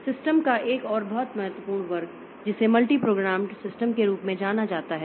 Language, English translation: Hindi, Another very important class of systems they are known as multi programmed systems